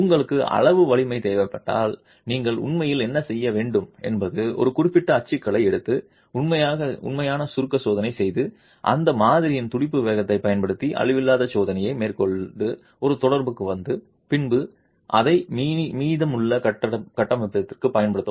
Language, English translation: Tamil, If you need quantitative strength, what you should actually be doing is take a certain typology, do a actual compression test, carry out nondestructive testing using pulse velocity on that specimen and arrive at a correlation and then use it for the rest of the structure